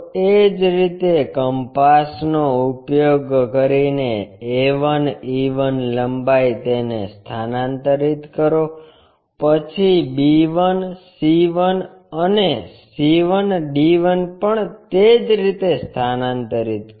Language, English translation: Gujarati, Similarly, a 1 e 1 length transfer it by using compass, then b 1 c 1 and c 1 d 1 also transferred in the same way